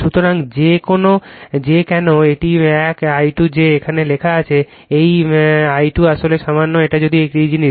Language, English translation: Bengali, So, that is why this one is I 2 that is written here this is I 2 actually the slightly it is if this thing